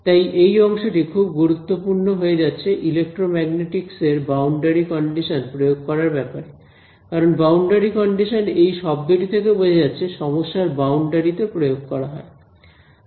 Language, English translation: Bengali, So, this term actually becomes a very important way of imposing any boundary conditions in electromagnetic, because boundary conditions as the word suggested applies to the boundary of the problem